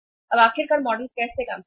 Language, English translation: Hindi, Now finally how the model will work